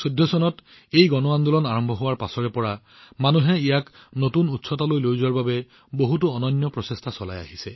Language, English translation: Assamese, Since the inception of this mass movement in the year 2014, to take it to new heights, many unique efforts have been made by the people